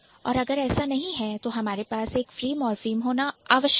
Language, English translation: Hindi, And if we do not have that, so then we must have a free morphem